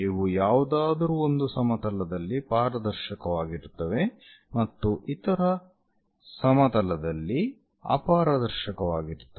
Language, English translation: Kannada, These are transparent in one of the planes and opaque on other planes